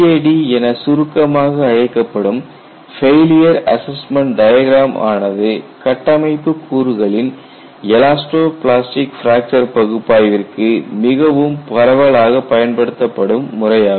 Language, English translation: Tamil, And if you look at the failure assessment diagram abbreviated as FAD is the most widely used methodology for elastic plastic fracture of structural components